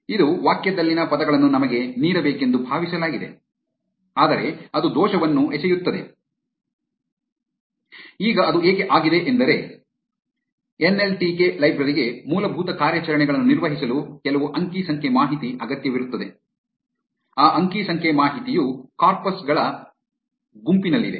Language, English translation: Kannada, It is supposed to give us the words in the sentence, but it throws an error instead, now why is that that is because the nltk library requires some data to perform the basic operations, that data is present in a set of corpuses